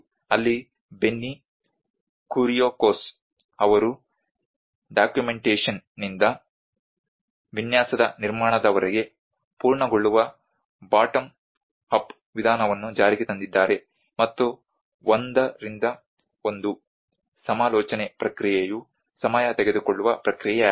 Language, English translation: Kannada, Where he have implemented a bottom up approach of completion from the documentation to the design to the erection process and the one to one consultation process has been its a time taking process